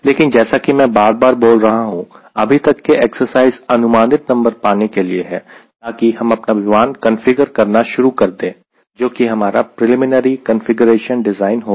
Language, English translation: Hindi, but as i am repeated telling so far, the exercise is to get a approximate or number so that i can start configuring the plane, which is my preliminary configuration design